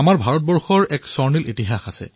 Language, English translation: Assamese, India has a golden history in Hockey